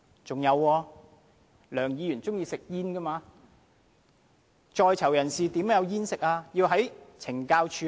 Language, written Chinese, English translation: Cantonese, 還有，梁議員喜歡吸煙，但在囚人士怎樣才有香煙可吸呢？, Mr LEUNG likes to smoke . But does he know how prisoners can get any cigarettes?